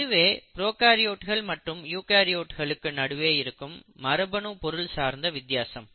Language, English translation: Tamil, So this is the basic difference between the arrangement of genetic material between prokaryotes and eukaryotes